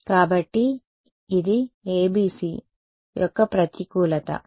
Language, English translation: Telugu, So, it was a disadvantage of ABC ok